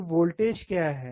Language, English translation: Hindi, So, what is the voltage